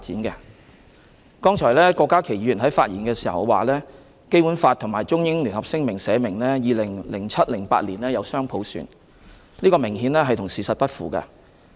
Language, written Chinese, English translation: Cantonese, 剛才郭家麒議員在發言時指《基本法》和《中英聯合聲明》訂明香港可在 2007-2008 年度實行雙普選，這明顯與事實不符。, Just now Dr KWOK Ka - ki pointed out in his speech that both the Basic Law and the Sino - British Joint Declaration stipulated that Hong Kong shall implement dual universal suffrage in 2007 - 2008 which obviously disagrees with the truth